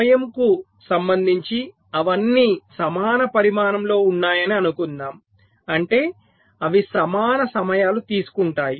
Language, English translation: Telugu, lets assume their all of equal size, means they take equal times